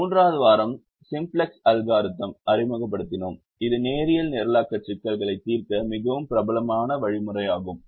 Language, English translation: Tamil, third week we introduced with simplex algorithm, which is the most popular algorithm to solve linear programming problems